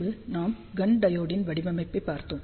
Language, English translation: Tamil, Then we will looked at the design of Gunn diode